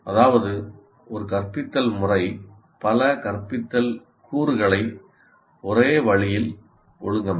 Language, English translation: Tamil, That means, an instructional method will have several instructional components organized in one particular way